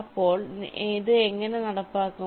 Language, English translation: Malayalam, so how do implement this